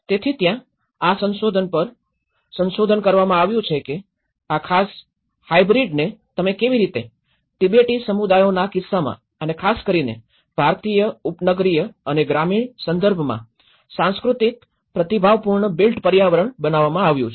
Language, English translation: Gujarati, So, there is a research on this whole research has looked into how this particular hybrid you know, cultural responsive built environment has been produced in case of Tibetan communities and especially, in the Indian suburban and the rural context